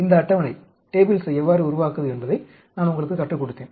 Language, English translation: Tamil, I taught you how to build up these tables